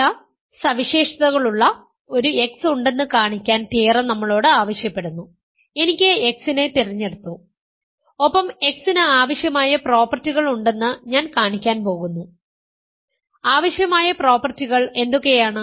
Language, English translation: Malayalam, Remember the theorem is asking us to show that there is an x with certain properties; I have chosen that x and I am going to show that x has the required properties, what are the required properties